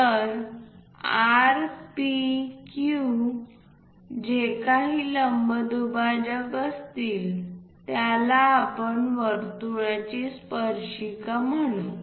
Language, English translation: Marathi, So, R, P, Q whatever the perpendicular bisector, that we will call as tangent to that circle